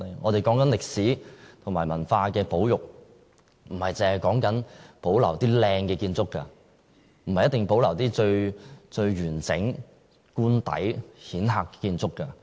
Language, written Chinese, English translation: Cantonese, 我們說歷史和文化的保育，不單是說保留一些漂亮的建築物，不一定是要保留最完整的官邸或顯赫的建築。, The conservation of history and culture is more than the preservation of glamorous buildings the entire official residence or some other prominent buildings